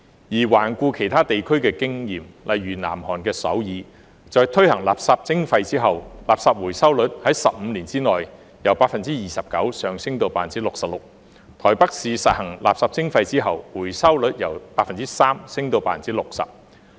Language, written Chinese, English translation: Cantonese, 而環顧其他地區的經驗，例如南韓的首爾，在推行垃圾徵費後，垃圾回收率在15年內由 29% 上升至 66%； 台北市實施垃圾徵費後，回收率由 3% 上升至 60%。, Let us look at the experience of other regions . For example in Seoul South Korea the waste recovery rate has risen from 29 % to 66 % in 15 years after the launch of waste charging . In Taipei the recovery rate has risen from 3 % to 60 % after the implementation of waste charging